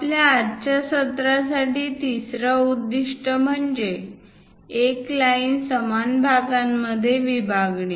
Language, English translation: Marathi, The third point objective for our today's session is; divide a line into equal parts